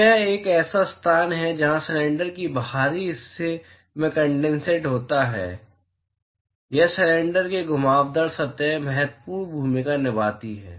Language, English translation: Hindi, So, that is a place where the condensation crosses at the exterior of the cylinder or the curved surface of the cylinder plays and important role